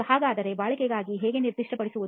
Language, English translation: Kannada, So how to specify for durability